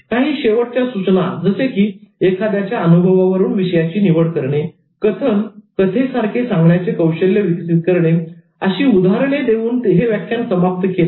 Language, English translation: Marathi, The lecture ended with some final tips such as using topics from one's own experience, developing narrative skills, all the people want to hear a story